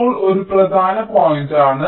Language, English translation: Malayalam, now this is an important point